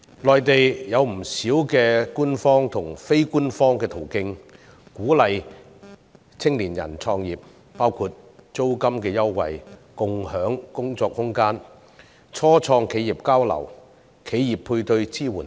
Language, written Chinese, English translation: Cantonese, 內地有不少官方和非官方途徑鼓勵青年人創業，包括租金優惠、共享工作空間、初創企業交流、企業配對支援等。, In the Mainland there are many official and unofficial initiatives to encourage youth entrepreneurship . Such examples include rent concessions shared offices exchanges among start - up enterprises and enterprise matching support